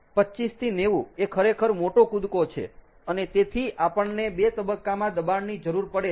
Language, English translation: Gujarati, twenty five to ninety, it is a big jump, ok, and therefore we need a two stage compression